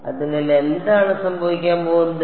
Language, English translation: Malayalam, So, what will happen over here